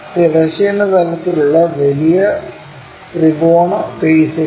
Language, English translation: Malayalam, And the larger triangular faces that is on horizontal plane